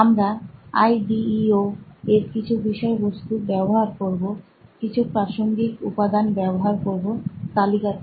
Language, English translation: Bengali, So we are going to use the some of the material from IDEO, some materials from other references that are listed as well